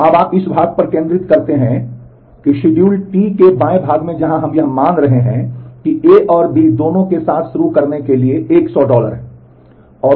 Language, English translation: Hindi, So now, you focus on this part, on the left part of schedule T where we are assuming that A and B both have 100 dollar to start with